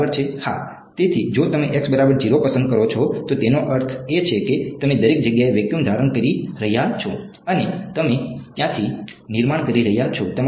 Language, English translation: Gujarati, Yeah; so, if you choose x equal to 0 means you are assuming vacuum everywhere and you are building up from there